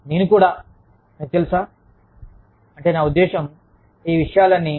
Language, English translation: Telugu, I am also, you know, it is, i mean, all of these things